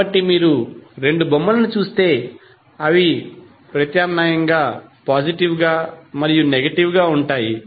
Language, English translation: Telugu, So if you see both of the figures they are going to be alternatively positive and negative